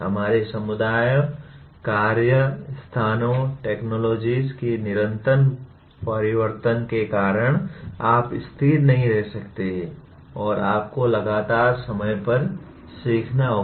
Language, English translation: Hindi, Because of the constant change in the structure of our communities, work places, technologies you cannot remain static and you have to constantly learn on the fly